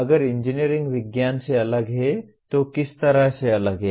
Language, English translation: Hindi, If engineering is different from science in what way it is different